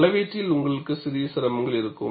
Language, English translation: Tamil, You will have certain difficulty in measurement